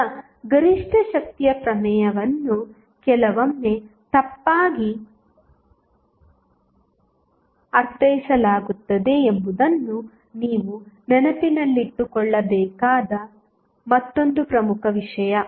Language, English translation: Kannada, Now, another important thing which you have to keep in mind that maximum power theorem is sometimes misinterpreted